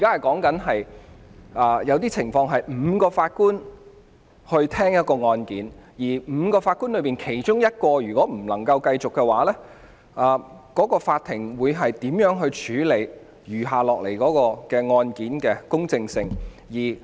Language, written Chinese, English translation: Cantonese, 在某些情況下，案件須由5名法官聽審，而當其中一名法官無法繼續時，法庭會如何處理案件餘下程序的公正性。, Cases must be heard by five JAs in some instances . How will the court address the issue of impartiality for the remaining proceedings if one of the JAs is unable to continue?